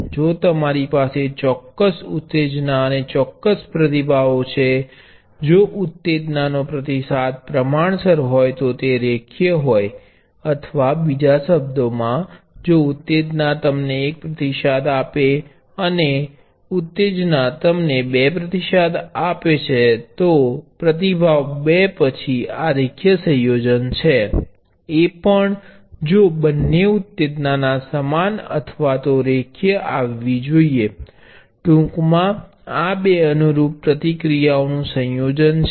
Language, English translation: Gujarati, If you have certain excitation certain responses, if the response is proportional to the excitation it is linear or in other words if excitation one gives you response one, excitation two gives you, response two then linear combination of these two excitation should give the same linear combination of the two corresponding responses